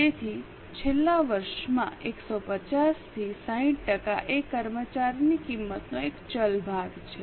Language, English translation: Gujarati, So, 150 into 60% is into 60 percent is a variable portion of employee cost in the last year